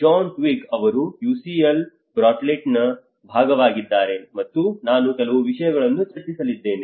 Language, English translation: Kannada, John Twigg, he is part of the UCL Bartlett, and I am going to discuss a few things